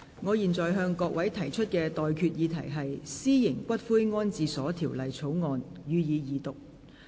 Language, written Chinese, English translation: Cantonese, 我現在向各位提出的待議議題是：《私營骨灰安置所條例草案》，予以二讀。, I now propose the question to you and that is That the Private Columbaria Bill be read the Second time